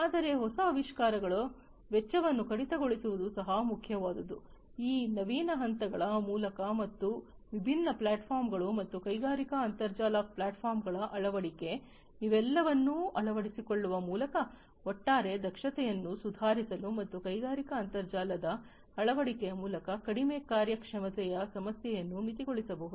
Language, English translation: Kannada, But what is important also to have further innovation cutting down on the costs, further, through these innovative steps and adoption of different platforms and industrial internet platforms, through the adoption of all of these it is now possible to improve the overall efficiency and cutting down on the perform on, the reduced performance issues through the adoption of industrial internet